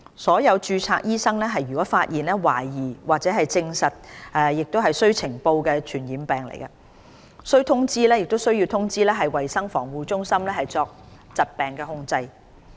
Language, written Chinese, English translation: Cantonese, 所有註冊醫生若發現懷疑或證實屬須呈報的傳染病，均須通知衞生防護中心以作疾病控制。, All registered medical practitioners are required to notify CHP of all suspected or confirmed cases of these diseases for the purpose of disease control